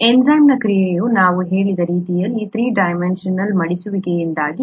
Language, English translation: Kannada, The way the enzyme action comes in we said was because of the three dimensional folding